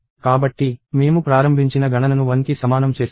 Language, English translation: Telugu, So, right then we declare the initialized count equal to 1